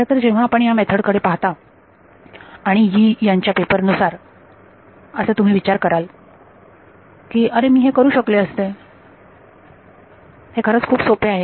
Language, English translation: Marathi, And in fact when you look at this method and the paper as formulated by Yee you would think; oh I could have done this, you know it is really that simple